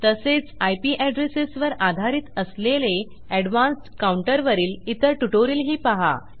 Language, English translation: Marathi, Also watch my other tutorial on the more advanced counter that takes IP addresses into account